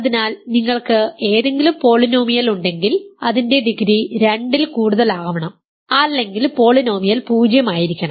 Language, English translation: Malayalam, So, if you have any polynomial in it its degree must be more than 2 or the polynomial must be 0